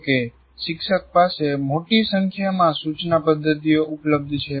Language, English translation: Gujarati, However, you have a large number of instruction methods is available to the teacher